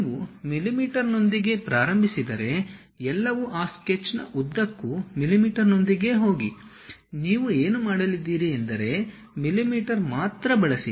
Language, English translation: Kannada, If you begin with mm everything go with mm throughout that sketch what you are going to do use only mm ah